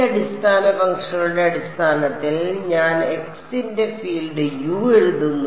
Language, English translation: Malayalam, I write the field u of x in terms of these basis functions right